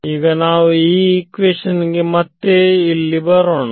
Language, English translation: Kannada, So, now, let us just rewrite equation one over here